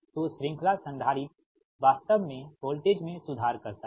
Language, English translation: Hindi, so series capacitor, actually it improves the voltage